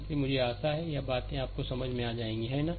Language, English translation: Hindi, So, I hope this things is understandable to you, right